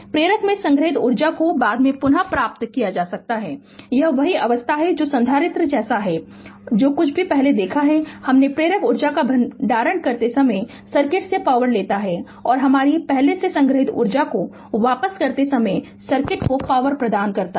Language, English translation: Hindi, The energy stored in the inductor can be retrieved at a later time it is same philosophy like capacitor whatever we have just seen before; the inductor takes power from the circuit when storing energy and delivers power to the circuit when returning your previously stored energy right